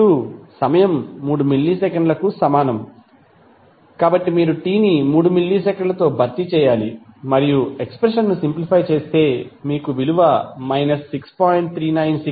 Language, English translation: Telugu, Now, for time is equal to 3 millisecond you simply have to replace t with 3 millisecond and simplify the expression you will get the value 6